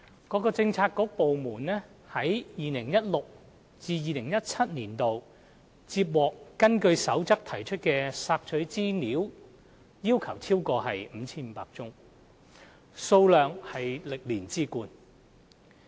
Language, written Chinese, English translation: Cantonese, 各政策局/部門於 2016-2017 年度接獲根據《公開資料守則》提出的索取資料要求超過 5,500 宗，數量為歷年之冠。, In 2016 - 2017 Policy Bureaux and government departments received more than 5 500 requests for access to information pursuant to the Code on Access to Information the Code . The number was the highest over all years